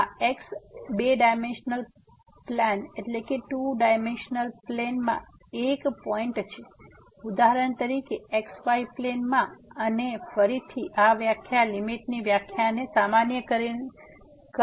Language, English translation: Gujarati, So, this maybe point in two dimensional plane for example, in plane and again, this definition will be carried for generalization the definition of the limit